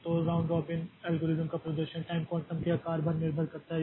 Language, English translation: Hindi, So, the performance of the round robin algorithm depends on the size of the time quantum